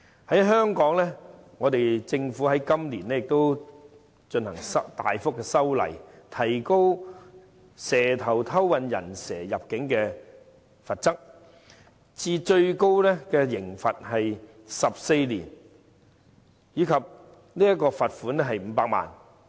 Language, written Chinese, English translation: Cantonese, 在香港，政府今年亦進行大幅修例，提高"蛇頭"偷運"人蛇"入境的罰則至最高監禁14年及罰款500萬元。, In Hong Kong the Government has amended the relevant law substantially by increasing the penalty for the smuggling of illegal entrants by snakeheads to the prison term of 14 years and a fine of 5 million